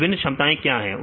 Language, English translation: Hindi, So, what are the various capabilities